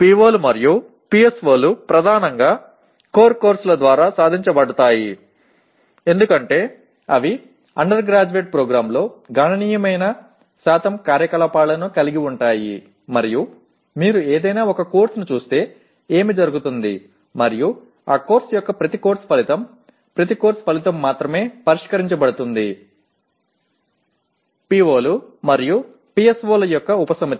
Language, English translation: Telugu, And as we said POs and PSOs are attained mainly through core courses because they constitute the significant percentage of activities in an undergraduate program and what happens is if you look at any one course and also each Course Outcome of that course, each Course Outcome addresses only a subset of POs and PSOs